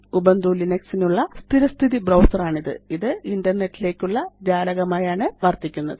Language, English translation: Malayalam, It is the default web browser for Ubuntu Linux, serving as a window to the Internet